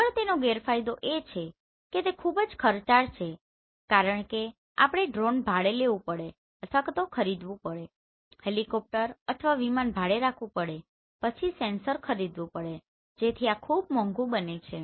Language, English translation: Gujarati, Next is disadvantages in disadvantages it is very, very expensive because we have to hire Drone or maybe you have to buy a Drone, you have to hire a helicopter or aeroplane then sensors you have to buy so everything becomes very costly